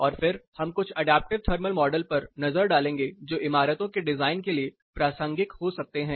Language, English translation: Hindi, And then we will take a look at a few adaptive comfort models which may be relevant to design of buildings